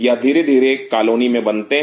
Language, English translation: Hindi, They are slowly form in a colony